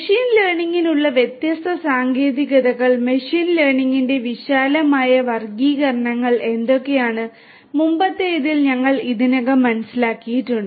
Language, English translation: Malayalam, We have already understood in the previous one, what are the different techniques for machine learning, the broad classifications of machine learning